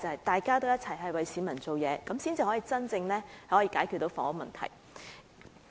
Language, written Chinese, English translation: Cantonese, 大家都有應該為市民做事的心態，才能真正解決房屋問題。, We should all have the mentality of serving the public so that the housing problem can genuinely be solved